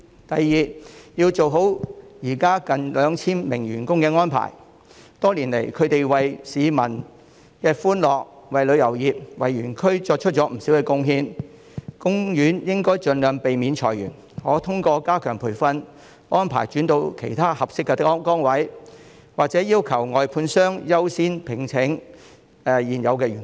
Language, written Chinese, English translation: Cantonese, 第二，要做好現時近 2,000 名員工的安排，他們多年來為市民帶來歡樂，為旅遊業、為園區作出了不少貢獻，海洋公園應盡量避免裁員，並可通過加強培訓，安排員工轉到其他合適的崗位，或者要求外判商優先聘請現有的員工。, Second appropriate arrangements have to be made for the some 2 000 existing employees who have brought joy to the public and contributed to the tourism industry and the park over the years . The Ocean Park should avoid layoffs as far as possible . It can arrange for its employees to be transferred to other suitable posts through enhanced training or asked its contractors to give priority to employing existing employees